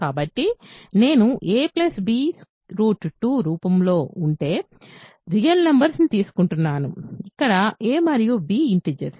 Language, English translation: Telugu, So, I am taking real numbers of the form a plus b times root 2, where a and b are integers